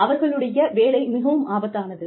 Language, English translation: Tamil, Their work is very dangerous